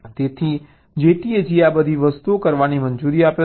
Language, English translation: Gujarati, so jtag allows all this things to be done